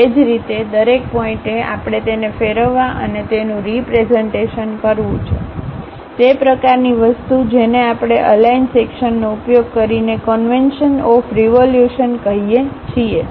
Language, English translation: Gujarati, Similarly, each and every point we have to rotate and represent it; that kind of thing what we call aligned section using conventions of revolution